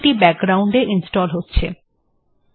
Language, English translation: Bengali, And it is installing it in the background